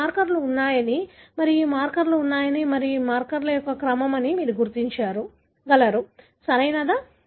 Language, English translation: Telugu, You can see that these markers are present and these markers are present and so on and you are able to position this is the order of the marker, right